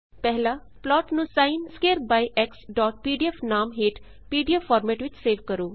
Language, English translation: Punjabi, Save the plot by the sin square by x.pdf in pdf format